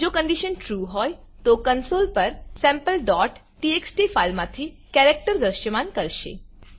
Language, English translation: Gujarati, If the condition is true, then it will display the characters from Sample.txt file, on the console